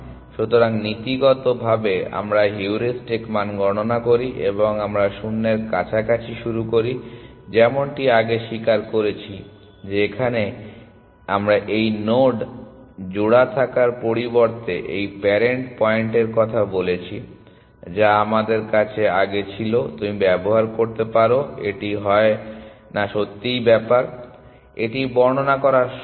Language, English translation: Bengali, So, in as a matter of principle we compute the heuristic value and we initialize close to nil as before accept that here we have talked of this parent point of, rather than having this node pair that we had earlier you can use that it does not really matter, this is simply easier to describe